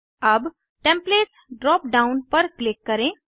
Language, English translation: Hindi, Now, click on Templates drop down